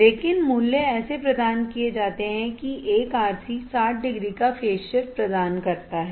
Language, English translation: Hindi, But the values are provided such that one RC provides a phase shift of 60 degrees